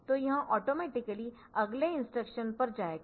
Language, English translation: Hindi, So, it will be automatically going to the next instruction